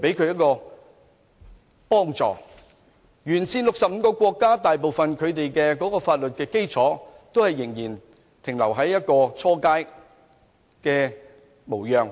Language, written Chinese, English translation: Cantonese, "一帶一路"沿線65個國家的法律基礎，大部分仍停留於初階模樣。, The legal foundations of the 65 Belt and Road countries for this Initiative are mostly yet to take shape